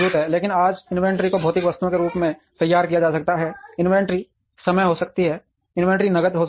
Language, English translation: Hindi, But, today inventory can be modeled as physical items, inventory could be time, inventory could be cash